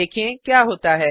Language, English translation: Hindi, let see what happens